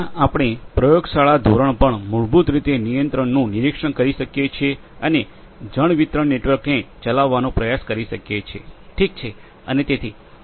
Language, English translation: Gujarati, Where, we can on a lab scale we can basically monitor control and try to operate a water distribution network